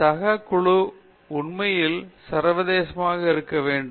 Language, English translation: Tamil, Then, finally, the peer group must be truly international